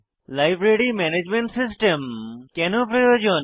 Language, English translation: Bengali, Now, Why do we need a Library Management System